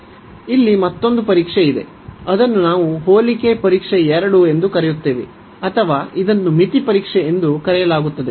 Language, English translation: Kannada, There is another test here, it is we call comparison test 2 or it is called the limit test also limit comparison test